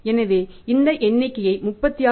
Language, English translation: Tamil, So, we can compare this figure of 36